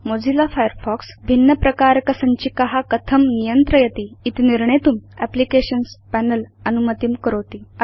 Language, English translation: Sanskrit, The Applications panel lets you decide how Mozilla Firefox should handle different types of files